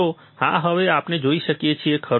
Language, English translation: Gujarati, So, yes, now we can see, right